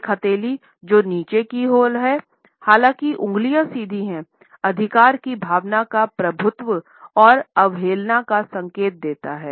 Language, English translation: Hindi, A palm which is downward, however, with fingers which are straightened, indicates a sense of authority a dominance and defiance